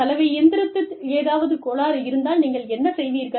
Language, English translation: Tamil, And, if the washing machine, if there was some fault